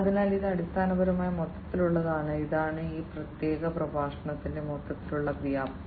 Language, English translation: Malayalam, So, this is basically the overall, you know, this is the overall scope of this particular lecture